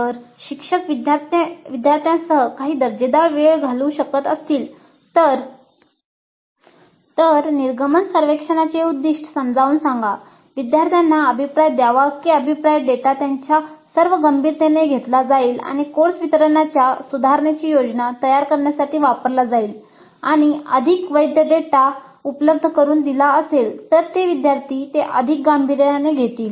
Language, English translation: Marathi, So if the instructor can spend some quality time with the students, explain the purpose of the exit survey, assure the students that the feedback data would be taken in all its seriousness and would be used to plan improvements for the course delivery, then it is more likely that the students would take it seriously and provide more valid data